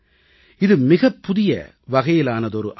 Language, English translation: Tamil, This is a great new system